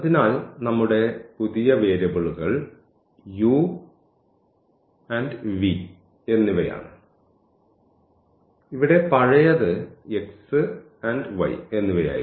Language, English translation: Malayalam, So, our new variables are u and v, the older one here were x and y